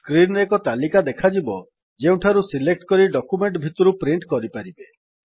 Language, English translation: Odia, A list of option appears on the screen from where you can select and print in the document